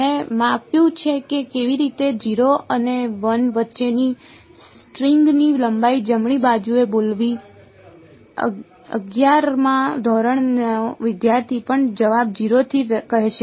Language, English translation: Gujarati, I have measured how to speak the length of the string between 0 and l right even a class eleven student will say answer is 0 to l right